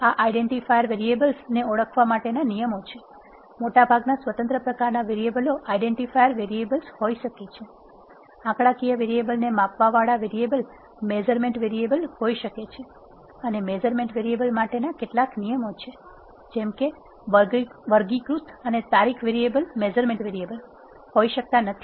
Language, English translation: Gujarati, The rules for indentifying this identifying variables are, most of the discrete type variables can be identifier variables, measure the numeric variables can be measurement variables and there are certain rules for the measurement variables such as, categorical and date variables cannot be measurement variables